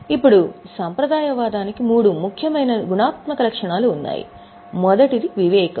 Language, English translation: Telugu, Now, for conservatism, there are three important qualitative characteristics